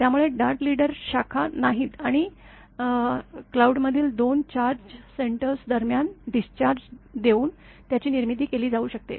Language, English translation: Marathi, So, the dart leader is much faster has no branches and may be produced by discharge between two charge centers in the cloud